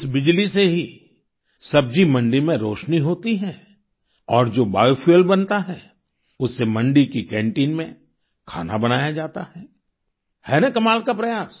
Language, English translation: Hindi, The vegetable market is illuminated through this electricity and the bio fuel that is generated is used to cook food in the market canteen isn't it a wonderful effort